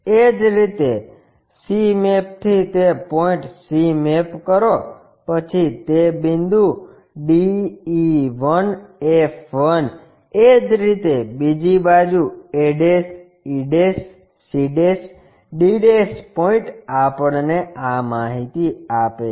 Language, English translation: Gujarati, Similarly, c map to that point c map to that point d e 1 f 1, similarly on the other side a' e' c' d' points gives us this information